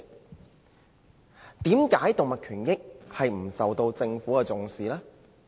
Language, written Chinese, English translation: Cantonese, 為甚麼動物權益沒有受到政府的重視？, Why doesnt the Government attach importance to animal rights?